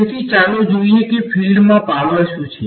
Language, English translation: Gujarati, So, let us look at what is the power in a field